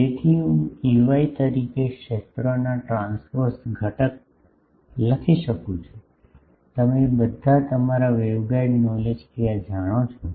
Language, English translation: Gujarati, So, I can write the transverse component of the fields as Ey, all of you know this from your waveguide knowledge